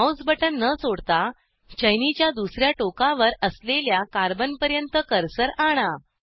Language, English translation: Marathi, Without releasing the mouse button, bring the cursor to the carbon present at the other end of the chain